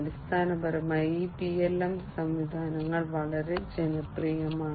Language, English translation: Malayalam, And there are so basically these PLM systems are quite popular